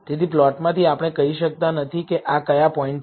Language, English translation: Gujarati, So, from the plot, we may not be able to tell which points are these